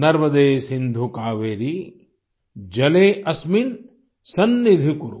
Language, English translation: Hindi, Narmade Sindhu Kaveri Jale asmin sannidhim kuru